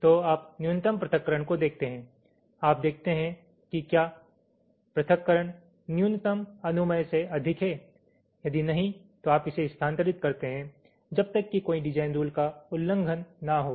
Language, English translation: Hindi, so you look at the separation, minimum separation you see that whether the separation is greater than the minimum permissible, if not, you move it as long as there is no design rule violation